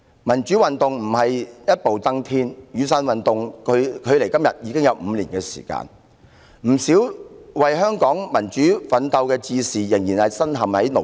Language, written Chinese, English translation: Cantonese, 民主運動不會一步登天，雨傘運動距今已5年，不少為香港民主奮鬥的志士仍然身陷牢獄。, Democracy cannot be achieved in haste . Five years have passed since the Umbrella Movement many campaigners who fought for democracy in Hong Kong are still in jail